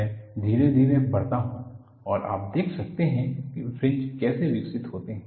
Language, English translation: Hindi, I slowly increase and you could see how the fringes are developed